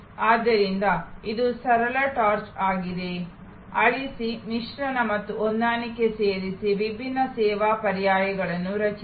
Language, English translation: Kannada, So, this is a simple chart, add delete, mix and match, create different service alternatives